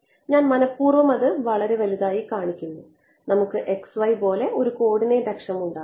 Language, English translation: Malayalam, I am purposely showing it very big and let us make a coordinate axis like this x y ok